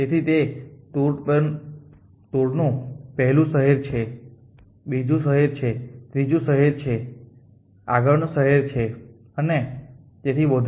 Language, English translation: Gujarati, So, this is the first city in a 2 a second city is a third city is a 4 city is and so on